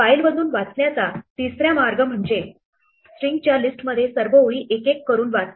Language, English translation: Marathi, The third way that you can read from a file is to read all the lines one by one into a list of strings